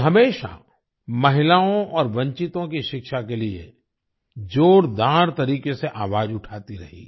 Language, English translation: Hindi, She always raised her voice strongly for the education of women and the underprivileged